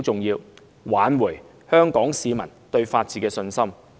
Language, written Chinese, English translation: Cantonese, 而挽回香港市民對法治的信心十分重要。, It is indeed important to restore Hong Kong peoples confidence in the rule of law